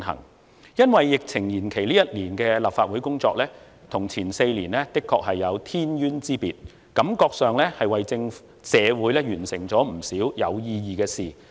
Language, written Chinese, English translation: Cantonese, 本屆立法會因為疫情延任一年，這一年的工作與前4年的工作的確有天淵之別，讓我感覺我們為社會完成了不少有意義的事情。, This term of Legislative Council was extended for a year due to the epidemic . The work this year is far different from that of the previous four years in the sense that we have done many meaningful things for society